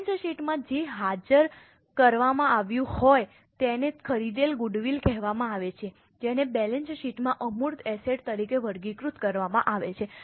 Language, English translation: Gujarati, What is disclosed in the balance sheet is called as a purchased goodwill which is classified as intangible asset in the balance sheet